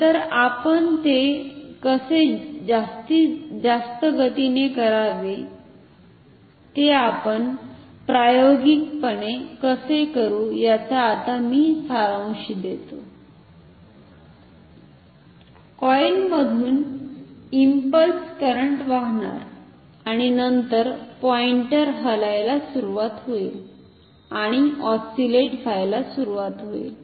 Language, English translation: Marathi, So, how to do it very quickly that summarize how we how will we do it experimentally, we will let the impulse current flow through the coil and then the pointer will start to move and will start to oscillate